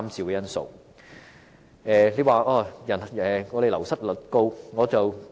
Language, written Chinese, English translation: Cantonese, 有人提出醫護人員的流失率高。, There are also opinions that the turnover rate of health care staff is high